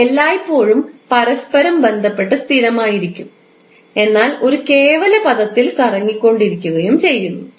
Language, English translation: Malayalam, That's why they are always constant with respect to each other but rotating in an absolute term